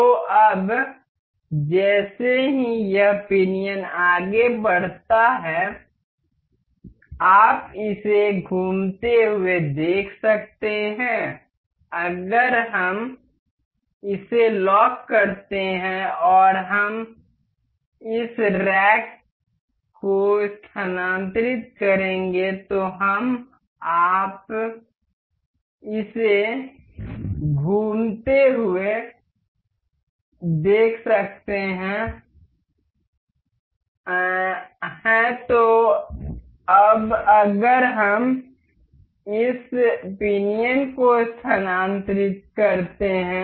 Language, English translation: Hindi, So, now, as this pinion moves forward you can see this rotating, if we lock this and we will move this rack we can see this rotating; so, now, if we move this pinion